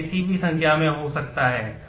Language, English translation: Hindi, It can be anything any number